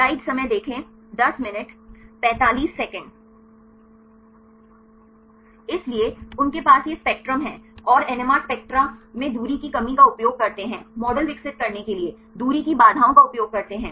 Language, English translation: Hindi, So, they have this spectrum and use the distance constraints in the NMR spectra and use distance constraints to develop models